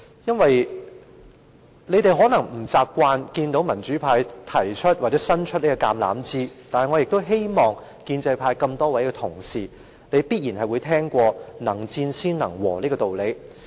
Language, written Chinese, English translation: Cantonese, 因為建制派議員可能不習慣看到民主派伸出橄欖枝，但我相信多位建制派同事也曾經聽過"能戰先能和"這個道理。, Because Members of the pro - establishment camp might not be accustomed to seeing the pro - democracy camp extend the olive branch . I believe quite many Honourable colleagues from the pro - establishment camp must have heard of one must be able to fight before he can finish in a tie